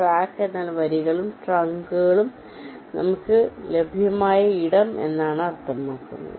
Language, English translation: Malayalam, ok, track means the space that is available to us on the rows and trunks